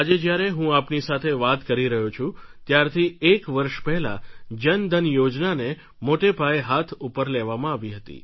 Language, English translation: Gujarati, Today when I talk to you, I want to mention that around a year back the Jan Dhan Yojana was started at a large scale